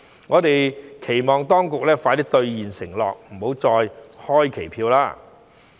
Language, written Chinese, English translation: Cantonese, 我們期望當局能盡快兌現承諾，不要再開期票。, We wish that the authorities can deliver on their promises very soon and will not pay lip service anymore